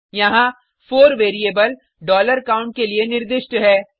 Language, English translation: Hindi, Here, 4 is assigned to variable $count